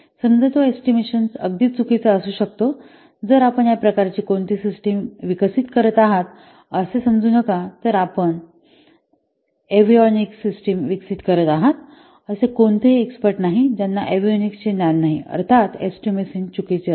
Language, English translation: Marathi, The disadvantage that very, it may, the estimate may be very inaccurate if there are no exports available in this kind of what system that you are developing suppose you are developing a avionic system and there is no expert who have knowledge who has knowledge on the avionics then obviously the estimates will be wrong